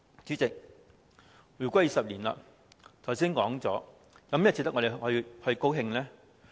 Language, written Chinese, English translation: Cantonese, 主席，回歸20年，我剛才說過，有甚麼值得我們高興呢？, Chairman during the 20 years since the reunification as I said just now what has happened that can make us happy?